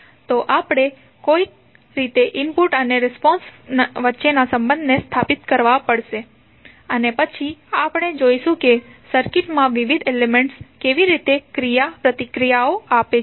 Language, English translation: Gujarati, So, we have to somehow to establish the relationship between input and response and then we will see how the various elements in the circuit will interact